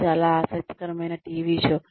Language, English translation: Telugu, It is a very interesting TV show